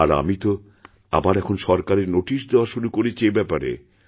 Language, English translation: Bengali, I have already begun to issue instructions in the government